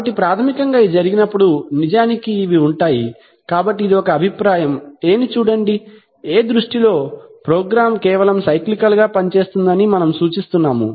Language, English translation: Telugu, So as it happens, so basically these are actually, so this is one view say, view A, in view A the, we are indicating that the program simply work cyclically